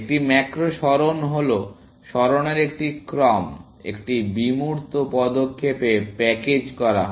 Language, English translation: Bengali, A macro move is a sequence of moves, packaged into one abstract move